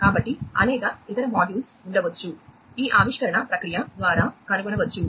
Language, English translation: Telugu, So, there could be many different other modules, that could be discovered through this discovery process